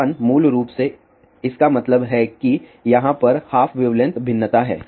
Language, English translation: Hindi, 1 basically means that there is a one half wavelength variation over here